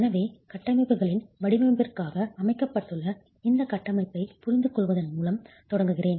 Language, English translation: Tamil, So let me begin by understanding this framework that is laid out for design of structures